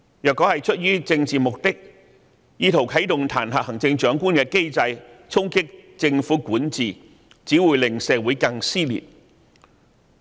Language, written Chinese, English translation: Cantonese, 若出於政治目的而意圖啟動彈劾行政長官的機制，藉此衝擊政府管治，只會令社會更撕裂。, Attempts motivated by political considerations to use the mechanism for impeaching the Chief Executive to undermine the governance of the Government will only rip society further apart